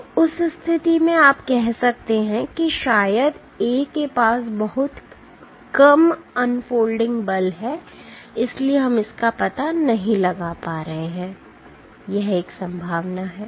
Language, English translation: Hindi, So, in that case you can as in you can say that probably A has very low unfolding forces, that is why we cannot detect it or, that is one possibility